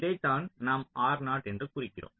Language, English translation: Tamil, this we have mentioned